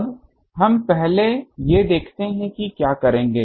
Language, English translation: Hindi, Now, let us look at these first will what will do